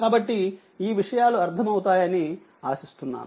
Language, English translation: Telugu, Hope it is understandable to you